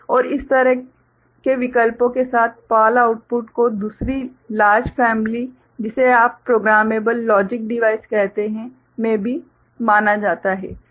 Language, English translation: Hindi, And PAL output with such options are also considered in a another you know larger family called programmable logic device ok